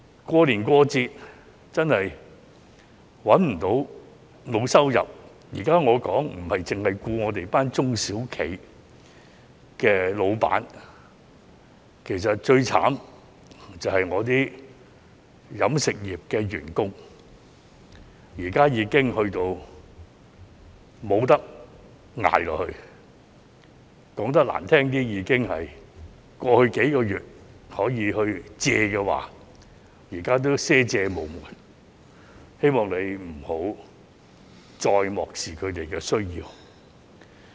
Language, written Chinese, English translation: Cantonese, 過年過節，找不到工作、沒有收入——我現在說的，不獨是我們的中小企僱主，其實最可憐的，是飲食業員工，他們現在已無法支撐下去，說得難聽點，在過去數月，可以借的都借了，現在已賒借無門，希望局長不要再漠視他們的需要。, No job with no income during festive season and the Lunar New Year holidays―what I am talking about now is not only the employers running SMEs but also the most miserable of all the employees of the catering sector who can no longer support themselves . To put it bluntly they have borrowed money from all sources available over the past few months but now they just cannot find a way to obtain credit . I do hope the Secretary will stop ignoring their needs